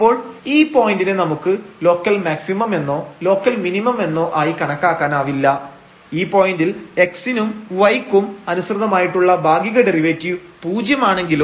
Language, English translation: Malayalam, So, this point we cannot identify as the local maximum or local minimum though the partial derivatives here at this point was 0 with respect to x and with respect to y but